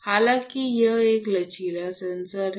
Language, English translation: Hindi, So, it is a flexible sensor though